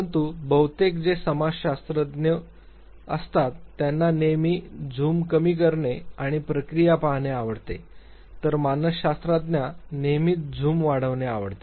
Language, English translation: Marathi, But mostly it is the sociologist who would like to always zoom out and look at the process, whereas psychologist would always love to zoom in